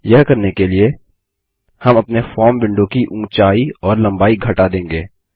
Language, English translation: Hindi, To do this, we will decrease the height and length of our form window